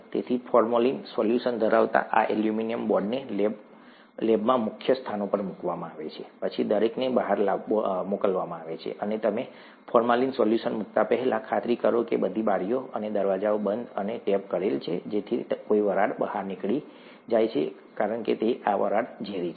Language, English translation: Gujarati, So these aluminum boards containing formalin solutions are placed in key positions in the lab, then everybody is sent out, and before you place the formalin solution, make sure that it is made sure that all the windows and doors are shut and taped so that no vapor escapes out, because this vapor is poisonous